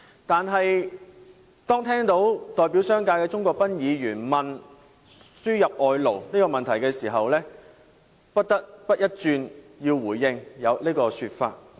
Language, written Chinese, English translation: Cantonese, 但是，當我聽到代表商界的鍾國斌議員問到輸入外勞的問題時，我不得不回應這個說法。, But I felt obliged to respond to the subject of importation of workers when I heard Mr CHUNG Kwok - pan who represents the business sector ask about this subject